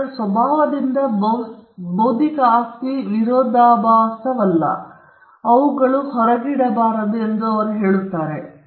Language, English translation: Kannada, They say intellectual property by its nature is non rivalrous and it’s non excludable